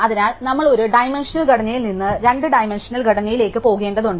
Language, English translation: Malayalam, So, we have to go from a one dimensional structure to a two dimensional structure